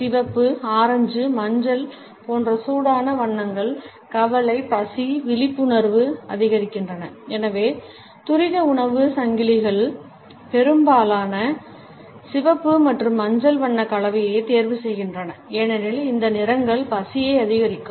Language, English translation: Tamil, Warm colors such as red, orange, yellow etcetera increase anxiety, appetite, arousal and therefore, fast food chains often choose color combinations of red and yellow because these colors increase appetite